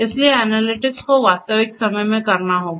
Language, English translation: Hindi, So, analytics will have to be done in real time